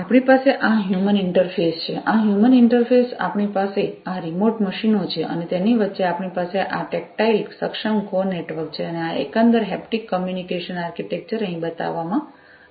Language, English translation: Gujarati, So, we have this human interface we have this human interface, this is this human interface we have these remote machines and in between we have this tactile enabled core network and this overall haptic communication architecture is shown over here